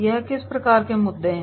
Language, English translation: Hindi, What type of material issues are there